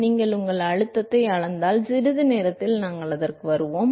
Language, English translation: Tamil, So, if you scale your pressure, we will come to that in in a short while